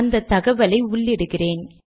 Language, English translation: Tamil, So I enter this information